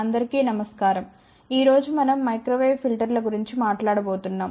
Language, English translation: Telugu, Today we are going to talk about microwave filters